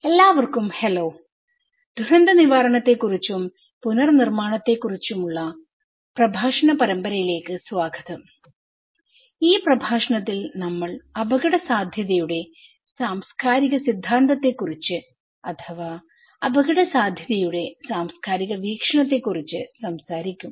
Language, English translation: Malayalam, Hello everyone, welcome to the lecture series on disaster recovery and build back better; this lecture we will talk about cultural theory of risk or cultural perspective of risk